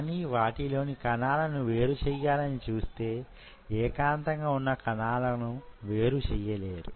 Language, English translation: Telugu, But when you will try to isolate, you won't be able to isolate single cells from there